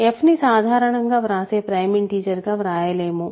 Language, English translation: Telugu, So, f is not the normal way of writing prime integer